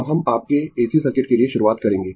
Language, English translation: Hindi, Now, we will start for your AC circuit